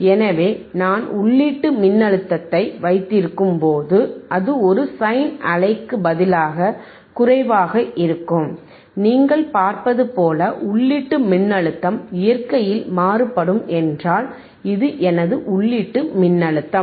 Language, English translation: Tamil, So, when I have the input voltage, which is less, right instead of just a sine viewwave, if input voltage which is is varying in nature which is varying in nature like you see, this is my input voltage